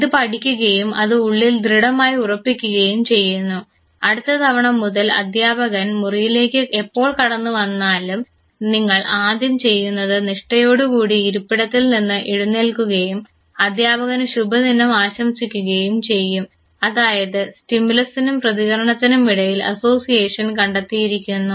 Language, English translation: Malayalam, This is learnt, this is in grin and next time onwards whenever teacher enters your room you first thing you do is that religiously leave your seat and wish the teacher good morning and association has been found between the stimulus and the response